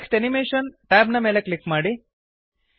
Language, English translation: Kannada, Click on the Text Animation tab